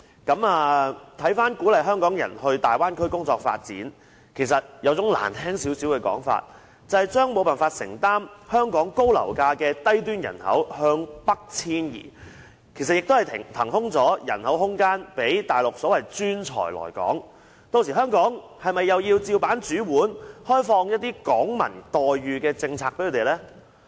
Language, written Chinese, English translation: Cantonese, 鼓勵香港人到大灣區發展，比較難聽的說法就是要將無法承擔香港高樓價的低端人口北移，騰出空間讓所謂的內地專才來港，屆時香港是否也要同樣開放一些"港民待遇"給他們呢？, To put it more bluntly the aim of encouraging Hong Kong people to work and live in the Bay Area is to relocate people in the low - end population who cannot afford high property prices in Hong Kong to the north thereby making way for the admission of professionals from the Mainland . By then should such incomers also be granted some treatments which are offered to Hong Kong citizens only?